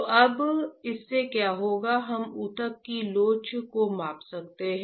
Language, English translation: Hindi, So, now, what will happen from this we can measure the elasticity of the tissue